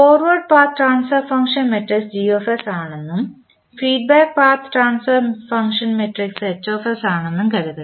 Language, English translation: Malayalam, Now, let us take one example suppose forward path transfer function matrix is Gs given and the feedback path transfer function matrix is Hs it is given